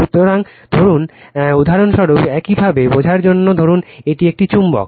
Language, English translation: Bengali, So, suppose this is suppose for example, for your understanding suppose this is a magnet right